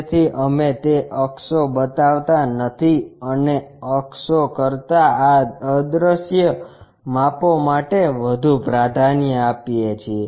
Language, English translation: Gujarati, So, we do not show that axis and give preference more for this invisible dimension than for the axis